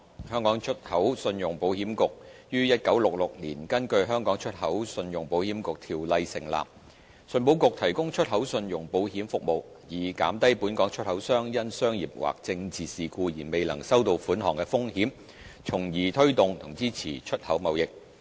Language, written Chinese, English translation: Cantonese, 香港出口信用保險局於1966年根據《香港出口信用保險局條例》成立，信保局提供出口信用保險服務，以減低本港出口商因商業或政治事故而未能收到款項的風險，從而推動和支持出口貿易。, The Hong Kong Export Credit Insurance Corporation ECIC was established in 1966 under the Hong Kong Export Credit Insurance Corporation Ordinance to promote and support the export trade through the provision of insurance protection for Hong Kong exporters against non - payment risks arising from commercial and political events